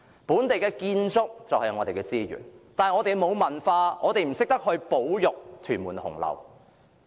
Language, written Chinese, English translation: Cantonese, 本地建築就是我們的資源，但我們沒有文化，不懂得保育屯門紅樓。, Local buildings are our resources but as we have no culture we do not know how to preserve Hung Lau in Tuen Mun